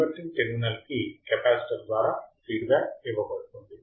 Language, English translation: Telugu, Feedback is given through capacitor to the inverting terminal